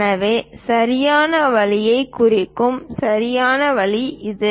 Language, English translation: Tamil, So, this is right way of representing correct way